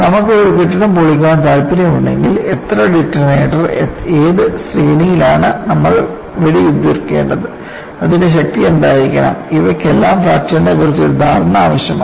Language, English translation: Malayalam, And if you want to demolish a building, you should know how much detonator, in which sequence you have to fire,what should be the strength of it all these require understanding a fracture